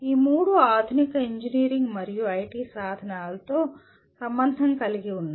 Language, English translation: Telugu, All the three are involved of modern engineering and IT tools